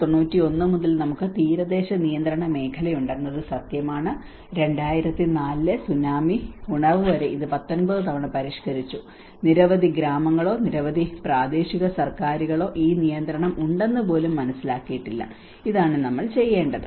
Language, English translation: Malayalam, It is true the evidence is we have the coastal regulation zone from 1991, it has been revised 19 times until the wakeup of the 2004 tsunami, many villages or the many local governments did not even realise that this regulation do exist and this is what we need to do